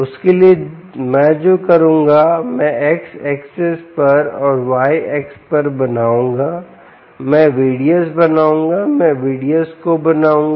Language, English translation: Hindi, for that, what i will do is i will draw on the x axis and on the y axis i will draw ah v d s